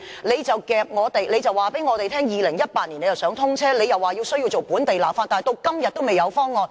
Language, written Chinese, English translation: Cantonese, 局長卻告訴我們希望於2018年通車，又說需要進行本地立法，但直至今天還未有方案。, But the Secretary told us that hopefully it would be commissioned in 2018 and that local legislation would be required but as at today no proposal has been put forward